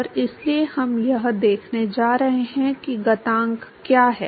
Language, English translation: Hindi, And so, we are going to see what are exponent is